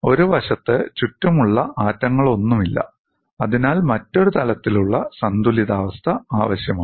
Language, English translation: Malayalam, There are no surrounding atoms on one side, thus requires a different kind of equilibrium